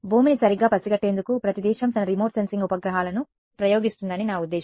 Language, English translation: Telugu, I mean every country launches its remote sensing satellites to sense the earth right